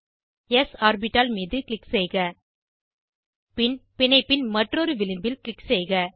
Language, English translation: Tamil, Click on s orbital and then click on other edge of the bond